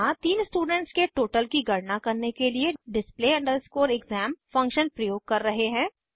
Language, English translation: Hindi, Here, we are using display exam function to calculate the total of three subjects